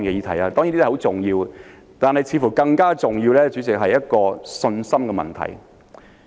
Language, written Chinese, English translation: Cantonese, 這些當然很重要，但似乎更重要的，主席，是信心問題。, These are certainly very important issues but more important still President there is the problem of confidence